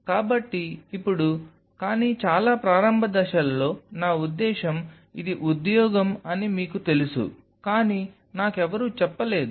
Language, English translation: Telugu, So, now, but in a very early phases I mean I had no one to tell me that you know I mean it is a job